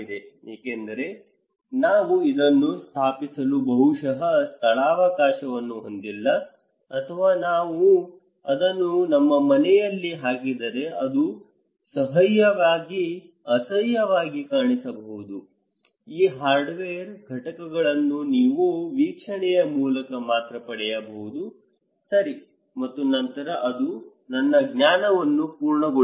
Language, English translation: Kannada, Because I do not have maybe space to install it or maybe it would look ugly if I put it into in my house so, these hardware components you can only get through observation, okay and then it would complete my knowledge